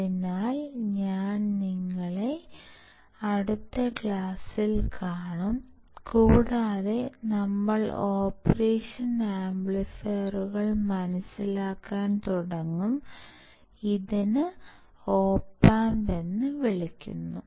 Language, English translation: Malayalam, So, I will see you in the next class, and we will start understanding the operational amplifiers, which is also call the Op Amps